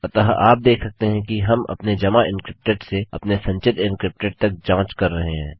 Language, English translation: Hindi, So you can see that were checking our submitted encrypted to our stored encrypted